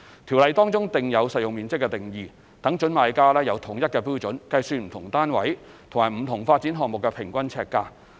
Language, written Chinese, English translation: Cantonese, 條例中訂有實用面積的定義，讓準買家有統一標準計算不同單位及不同發展項目的平均呎價。, The Ordinance provides for the definition of saleable area and sets out a uniform standard for prospective buyers to calculate the average price per square foot of different flats and developments